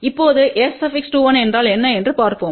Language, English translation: Tamil, Now, let us see what is S 21